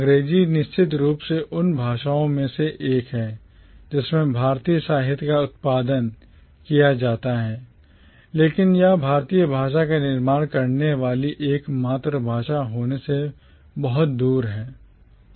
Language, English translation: Hindi, English is definitely one of the languages in which Indian literature is produced but that is far from being the only language in which Indian literature is produced